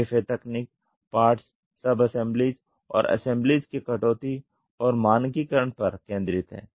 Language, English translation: Hindi, DFA technique focuses on reduction and standardization of parts sub assemblies and assemblies